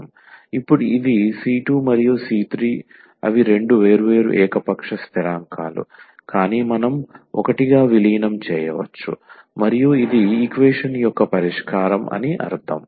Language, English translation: Telugu, Now, the c 2 and c 3 they are two different arbitrary constants, but we can merge into one and meaning that this is the solution of the equation